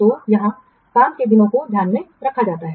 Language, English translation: Hindi, So, here the work days is taken into account